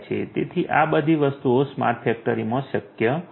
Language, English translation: Gujarati, So, all of these things are possible in a smart factory